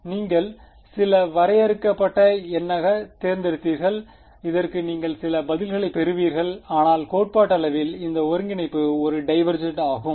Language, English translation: Tamil, You chose it to be some finite number you will get some answer to this, but theoretically this integral is divergent